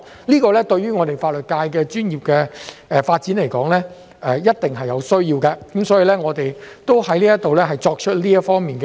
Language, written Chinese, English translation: Cantonese, 這對於法律界的專業發展來說，是一定有需要的，所以，我在這裏作出有關這方面的建議。, This is definitely something necessary for the professional development of the legal sector and I therefore take this opportunity to put forward this proposal